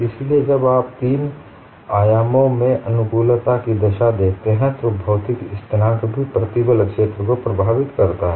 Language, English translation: Hindi, So, when you look at the compatibility conditions in three dimensions, material constant also influences the stress field